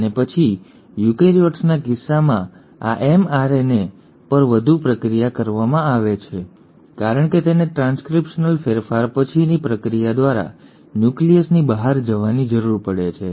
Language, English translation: Gujarati, And then in case of eukaryotes this mRNA is further processed, because it needs to go out of the nucleus through the process of post transcriptional modification